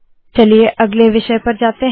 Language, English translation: Hindi, Lets go to the next topic